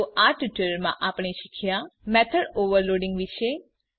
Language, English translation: Gujarati, In this tutorial we will learn What is method overloading